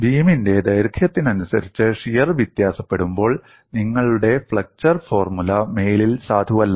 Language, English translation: Malayalam, When shear varies along the length of the beam, your flexure formula is no longer value